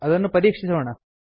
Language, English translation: Kannada, Lets check it